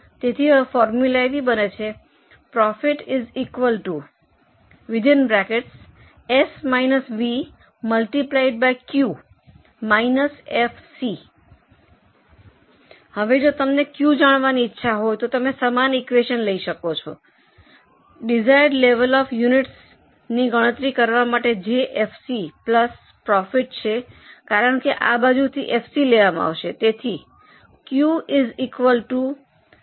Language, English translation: Gujarati, Now if you want to know Q you can use the same equation for calculating desired level of units which is FC plus profit because FC will go on this side